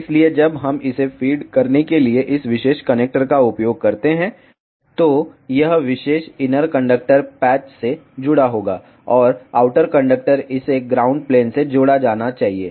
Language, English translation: Hindi, So, when we use this particular connector to feed it, so this particular inner conductor will be connected to the patch, and the outer conductor this should be connected to the ground plane